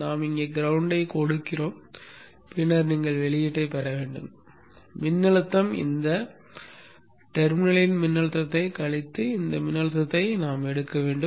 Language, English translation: Tamil, You give the ground here then you will have to get the output voltage you will have to take voltage of this minus the voltage of this node